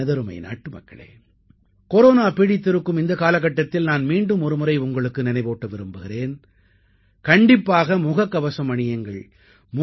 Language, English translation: Tamil, My dear countrymen, in this Corona timeperiod, I would once again remind you Always wear a mask and do not venture out without a face shield